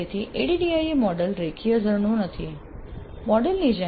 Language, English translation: Gujarati, So ADI model is not a linear waterfall like model